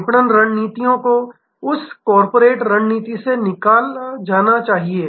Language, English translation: Hindi, The marketing strategy must be derived out of that corporate strategy